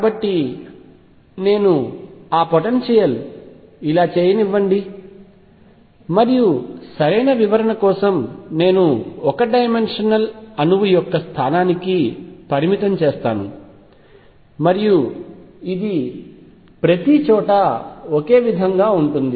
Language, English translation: Telugu, So, let me make that potential like this and let us say for proper description I make it finite at the position of the one dimensional atom and this repeats is the same everywhere